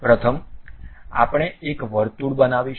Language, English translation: Gujarati, First a circle we are going to construct